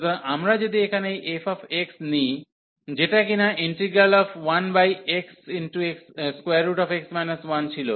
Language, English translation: Bengali, So, if we take this f x here, which was the integral